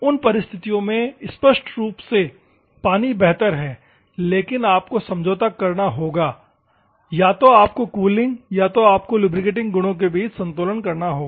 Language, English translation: Hindi, In those circumstances obviously, water is a better one, but you have to compromise or you have to optimize cooling and lubricating properties